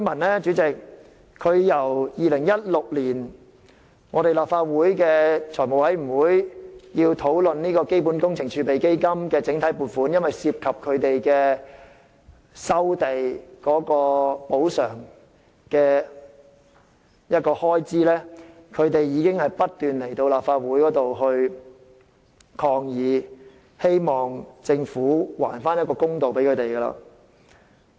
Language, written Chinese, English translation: Cantonese, 其實由2016年立法會財務委員會討論基本工程儲備基金整體撥款涉及收地補償的開支時，橫洲的居民已不斷前來立法會抗議，希望政府還他們一個公道。, In fact since the Finance Committee of the Legislative Council FC discussed the compensation for land acquisition through the block allocations mechanism under the Capital Works Reserve Fund in 2016 Wang Chau residents have constantly come to the Legislative Council to stage protests hoping that the Government will do justice to them